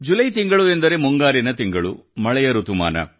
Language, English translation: Kannada, The month of July means the month of monsoon, the month of rain